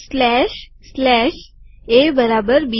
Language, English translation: Gujarati, Slash, slash, A equals B